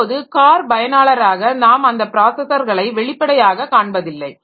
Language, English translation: Tamil, Now, apparently as a user of the car so we do not see all all those processors, okay